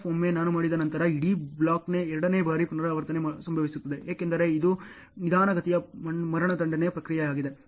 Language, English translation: Kannada, Once I have done, then the second time repetition of the entire block happens, because it is a slow process of execution